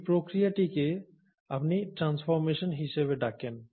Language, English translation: Bengali, This process is what you call as transformation